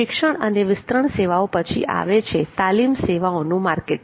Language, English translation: Gujarati, education and extension services then there are training services marketing